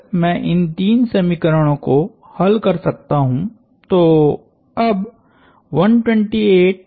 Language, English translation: Hindi, If I can solve these three equations, now 128 minus 19